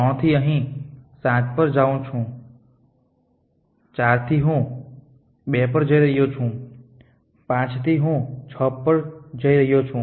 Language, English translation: Gujarati, From 3 I am going to 7 here, from 4 I am going to 2, from 5 I am going to 6